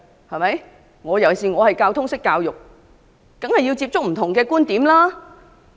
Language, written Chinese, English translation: Cantonese, 我作為通識教育的教授，當然要接觸不同觀點。, As a professor of general studies I certainly have to listen to different opinions